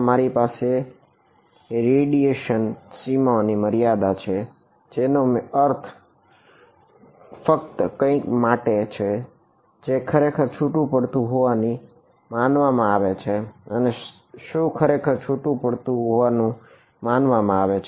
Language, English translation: Gujarati, I have the radiation boundary condition make sense only for something which is truly supposed to be outgoing and what is truly supposed to be outgoing